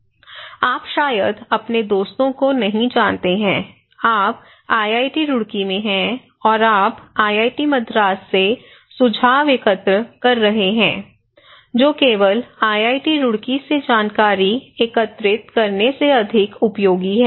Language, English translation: Hindi, You do not know your friends, friends, friends, friend maybe, you are at IIT Roorkee and you are collecting informations from IIT Madras that is more useful than only collecting informations from IIT Roorkee, right